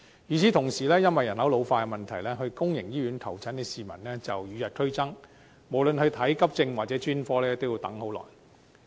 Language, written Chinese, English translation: Cantonese, 與此同時，因為人口老化問題，到公營醫院求診的市民與日俱增，無論看急症或專科都要等很久。, Meanwhile the problem of population ageing has led to an increasing number of people seeking treatment at public hospitals and a very long waiting time for patients seeking accident and emergency AE or specialist services